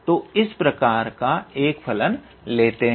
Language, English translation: Hindi, Next we have a function of type this